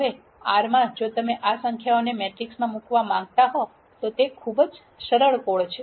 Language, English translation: Gujarati, Now, in R if you want to put this numbers into a matrix, it is a very very simple code